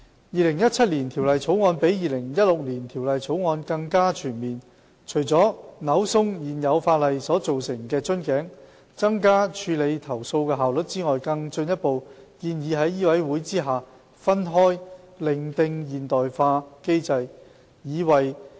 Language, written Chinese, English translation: Cantonese, 《2017年條例草案》比《2016年條例草案》更加全面，除了扭鬆現有法例所造成的瓶頸，增加處理投訴的效率外，更進一步建議在醫委會下分開另訂現代化機制。, The 2017 Bill is more comprehensive than the 2016 Bill . Apart from removing the bottlenecks under the current legislation to enhance complaint handling efficiency the 2017 Bill further proposes to establish a modern mechanism separately under MCHK